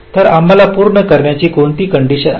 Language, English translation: Marathi, so what is the condition we have to satisfy